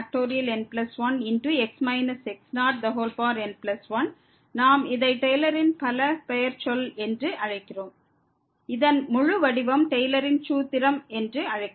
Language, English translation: Tamil, And what we call this the polynomial term we call the Taylor’s polynomial, the whole result this is called the Taylor’s formula